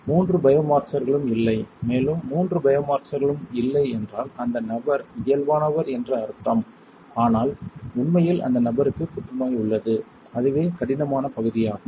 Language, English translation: Tamil, All three biomarkers are absent and if all three biomarkers are absent that means, the person is normal, but in reality person has cancer alright and that is the difficult part